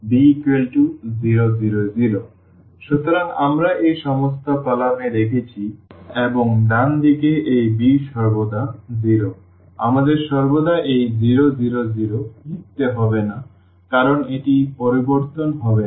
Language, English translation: Bengali, So, we kept all these in the columns here and the right hand side this b is always 0, we can we do not have to write also this 0, 0, 0 always because that is not going to change